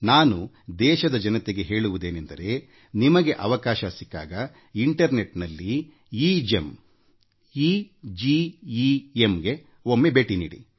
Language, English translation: Kannada, Here I want to tell my countrymen, that if you get the opportunity, you should also visit, the EGEM, EGEM website on the Internet